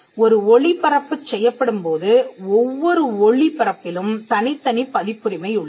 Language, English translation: Tamil, When a broadcast is made every broadcast has a separate copyright vested on it